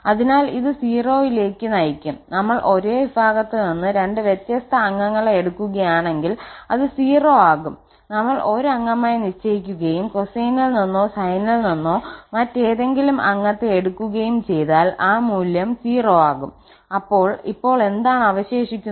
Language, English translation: Malayalam, So, this will also lead to 0, so we have also seen that if we take two different members from the same family it is going to be 0, if we take fix 1 as a member and take any other member from the cosine or from the sine that is 0, so what is left now